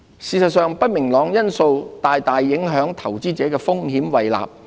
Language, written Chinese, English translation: Cantonese, 事實上，不明朗因素大大影響投資者的風險胃納。, In fact these uncertainties have greatly affected investors risk appetite